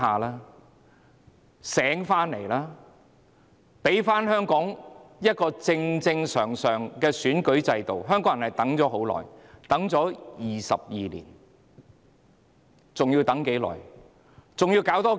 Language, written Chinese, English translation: Cantonese, 他們應該醒覺，還香港一個正常的選舉制度，香港人已等待了22年，還要等多久？, They should wake up and give Hong Kong a normal electoral system . Hong Kong people have waited for 22 years how much longer do they have to wait?